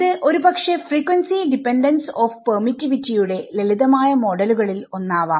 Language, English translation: Malayalam, So, this is perhaps one of the simplest models for frequency dependence of permittivity right